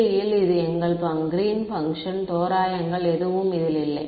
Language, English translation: Tamil, In 3D this was our greens function with no approximations right